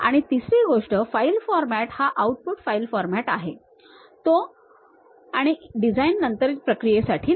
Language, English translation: Marathi, And the third one, the file format is very much an output file format and not intended for post design processing